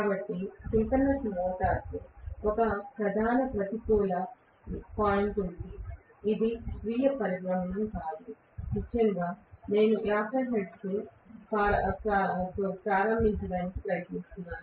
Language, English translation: Telugu, So, synchronous motor has one major negative point that is, it is not self starting, especially, I am trying to start with 50 hertz